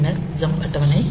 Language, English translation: Tamil, So, we can have also jump table